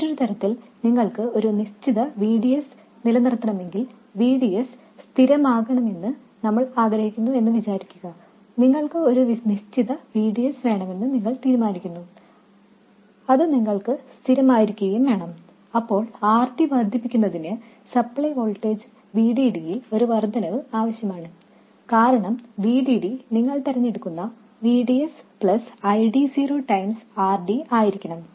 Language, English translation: Malayalam, Alternatively, if you want to maintain a fixed VDS, let's say we wanted VDS to be fixed, you decide that you want to have a certain VDS and you want it to be fixed, then increasing RD requires an increase in the supply voltage VDD because VD will have to be whatever VDS you choose plus ID0 times RD